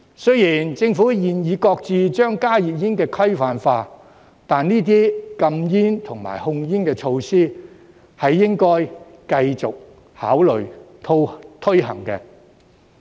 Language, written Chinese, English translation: Cantonese, 雖然政府現已擱置將加熱煙規範化，但這些禁煙和控煙措施亦應該繼續考慮推行。, Whilst the Government has now shelved the regularization of HTPs these anti - smoking and tobacco control measures should continue to be considered for implementation